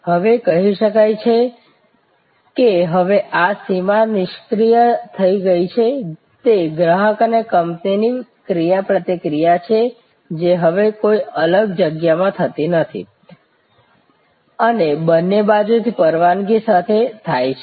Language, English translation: Gujarati, So, this boundary is defused, it is customer company interaction no longer that takes place in a distinct space, it permits on both sides